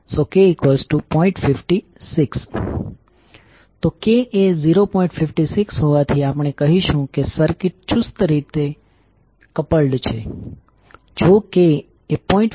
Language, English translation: Gujarati, 56, we will say that the circuit is tightly coupled